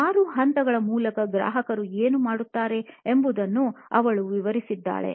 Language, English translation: Kannada, She did detailing of what all does the customer go through six steps